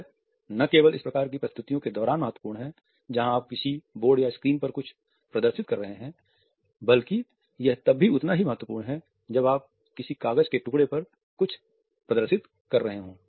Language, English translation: Hindi, This is important not only during these type of presentations where you are displaying something on some type of a board or a screen, but it is equally important when you are displaying something on a piece of paper to someone